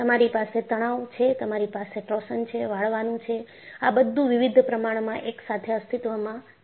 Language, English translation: Gujarati, You have tension, you have torsion, bending, all exists together with various proportions